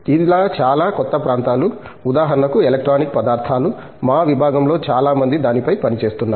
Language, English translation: Telugu, Like this a number of newer areas, for example, electronic materials quite a number of people in our department are working on that